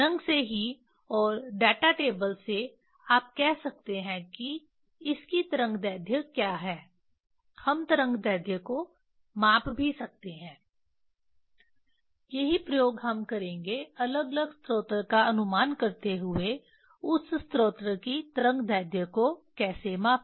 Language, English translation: Hindi, from the color itself and from the data table you can say what is the wavelength of this also we can measure the wave length that is what the experiment we will do using the different source, how to measure the wave length of that source